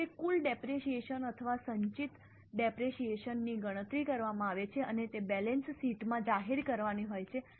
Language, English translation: Gujarati, Like that, the total depreciation or accumulated depreciation is calculated and it is to be disclosed in the balance sheet